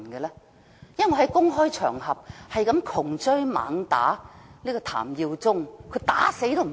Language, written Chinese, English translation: Cantonese, 我曾在公開場合窮追猛打追問譚耀宗，但他沒有回答。, I had repeatedly asked TAM Yiu - chung this question in public but he had not answered me